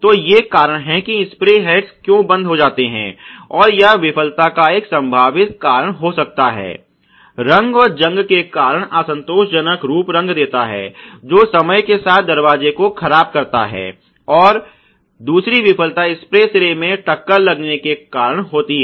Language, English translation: Hindi, So, these are reasons why the spray heads would get clogged and that may be a potential cause for the failure which is the deterred life of the door leading to unsatisfactory appearance due to rust to paint over time etcetera, and then obviously, this spray head deformed due to impact is another